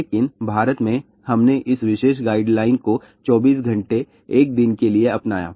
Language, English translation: Hindi, But in India, we adopted this particular guideline for 24 hours a day